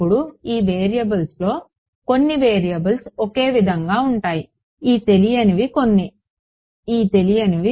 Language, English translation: Telugu, Now of these variables some variables are the same right these unknowns some of these unknown